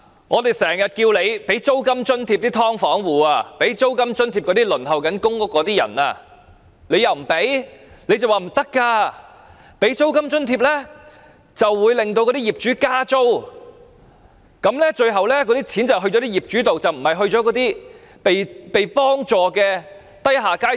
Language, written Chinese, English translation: Cantonese, 我們經常要求政府提供租金津貼予"劏房"戶和輪候公屋的人，但政府拒絕，只說提供租金津貼會令業主加租，最後錢會到業主手上，而不是需要被幫助的低下階層。, We always ask the Government to provide rental allowance to the people living in sub - divided units and those waiting for public rental housing . But the Government rejects our suggestion . It only says that the provision of rental allowance will only lead to rental increase by property owners and at the end the money will only be in the hands of property owners instead of the grass roots in need of help